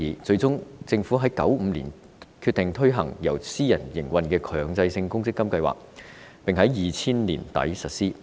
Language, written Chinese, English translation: Cantonese, 最終，政府在1995年決定推行由私人營運的強積金計劃，並在2000年年底實施。, Due to the presence of controversies in society the Government eventually decided to put in place a privately - operated MPF System in 1995 . The System was then implemented by the end of 2000